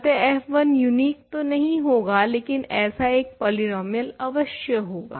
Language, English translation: Hindi, So, f 1 is not unique definitely, but there is some such polynomial